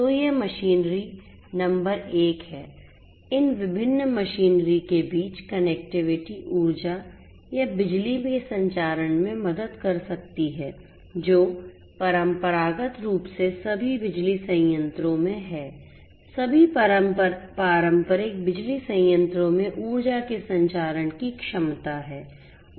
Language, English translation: Hindi, So, these machinery number one is this connectivity between these different machinery can help in the transmission, transmission of energy or electricity which is they are traditionally in all power plants all the traditional power plants have the capability of transmission of energy